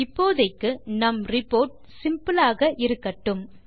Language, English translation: Tamil, For now, let us keep our report simple